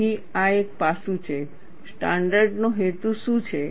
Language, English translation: Gujarati, So, this is one aspect of, what is the purpose of a standard